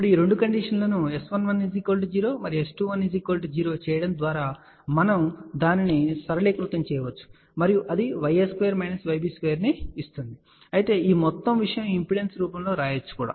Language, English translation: Telugu, Now, by putting these two conditions S 11 equal to 0 and S 21 equal to 0 in the previous equation we can simplify that and that leads to y a square minus y b square equal to 1, of course, this whole thing can be written in form of the impedance also